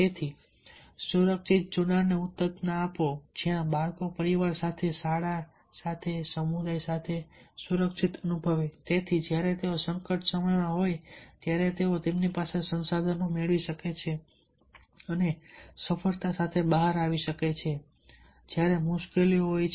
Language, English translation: Gujarati, so, therefore, foster the secure attachment where the children will feel secure, with the family, with the school and with the community, and that why, when they are in crisis, they can draw the resources from their and come out with success when there are difficulties